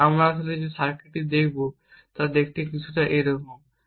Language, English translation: Bengali, The circuit that we will actually look, looks something like this way